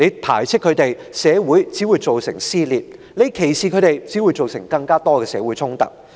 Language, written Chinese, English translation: Cantonese, 排斥他們，只會造成社會撕裂；歧視他們，只會造成更多的社會衝突。, Ostracizing them will only result in society being torn apart while discriminating against them will only give rise to more social conflicts